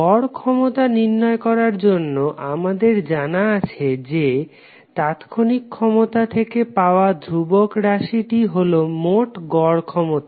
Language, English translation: Bengali, For calculation of average power we came to know that the constant term which we get from the instantaneous power is nothing but the total average power